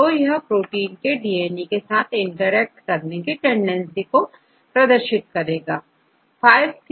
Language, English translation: Hindi, So, this protein could be at DNA protein have high tendency to interact with DNA